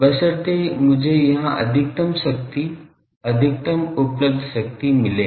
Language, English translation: Hindi, Provided I get maximum power, maximum available power here